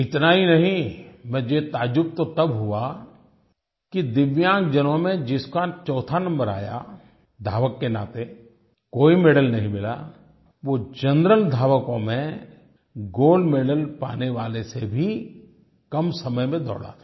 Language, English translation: Hindi, Not only this, what really surprised me was the fact that the athlete, who finished fourth in this event amongst DIVYANG persons and thus missed winning any medal, actually took less time than the gold medalist of general category in completing the race